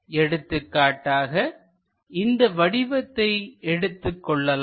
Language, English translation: Tamil, For example, let us look at this object